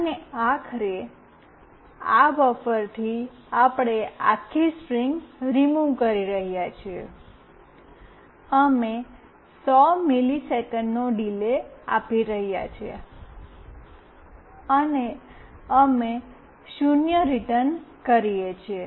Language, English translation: Gujarati, And finally, from this buffer we are removing the entire string, we are giving a 100 milliseconds delay, and we return 0